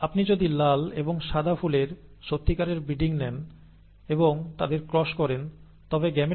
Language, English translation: Bengali, The, if you take true breeding red and white flowers and cross them together, the gametes will be capital R and capital W